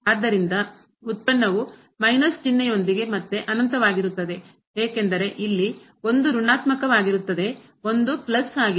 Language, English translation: Kannada, So, the product will be infinity again with minus sign because one is negative here, one is plus